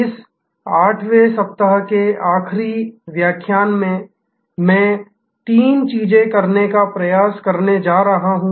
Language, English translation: Hindi, In the last lecture of this 8th week, I am going to attempt to do three things